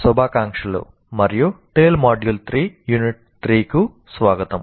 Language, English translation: Telugu, Greetings and welcome to Tale, Module 3, Unit 3